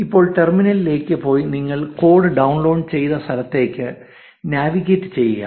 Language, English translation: Malayalam, Now, go to the terminal and navigate to where you have downloaded the code